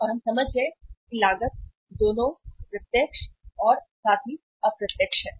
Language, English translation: Hindi, And we have understood that the cost is both, direct as well as indirect